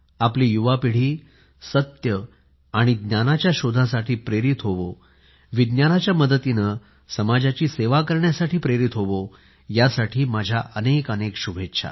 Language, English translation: Marathi, May our young generation be inspired for the quest of truth & knowledge; may they be motivated to serve society through Science